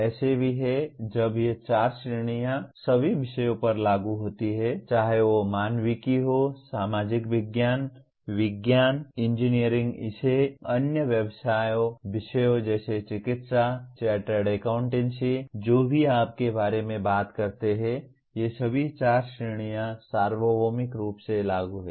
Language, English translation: Hindi, There are also while these four categories apply to all subjects whether it is humanities, social sciences, sciences, engineering call it the other professional subjects like medicine, chartered accountancy anything that you talk about, all these four categories are universally applicable